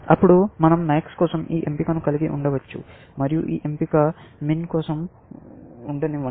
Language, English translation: Telugu, Then, we can have this choice for max, and let us say this choice for min